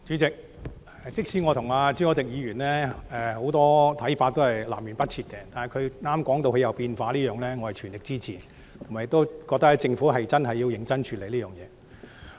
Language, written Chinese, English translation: Cantonese, 主席，即使我和朱凱廸議員的很多想法是南轅北轍，但他剛才提到他的想法有改變，我全力支持，而且認為政府真的要認真處理這件事。, President even though the views of Mr CHU Hoi - dick and I are poles apart in many areas I fully support him when he said just now that he has changed his mind . I think the Government really has to deal with the matter seriously